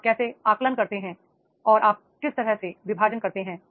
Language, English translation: Hindi, How do you assess and how do you divest